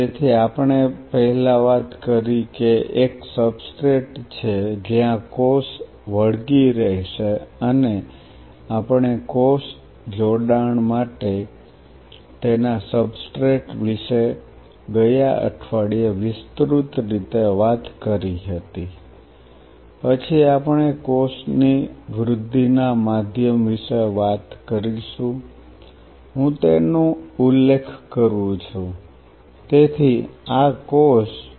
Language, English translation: Gujarati, So, we talked about first is a substrate where the cell will adhere and we have extensively talked last week about its substrate for cell attachment, then we talk about the medium supporting cell growth of course, I mentioning it, so this is the cell